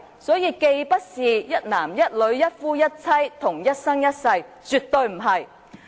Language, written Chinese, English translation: Cantonese, 所以，既不是一男一女、一夫一妻或一生一世，絕非如此。, So it is not monogamy between one man and one woman; nor is it a lifetime marriage . These are absolutely not the tradition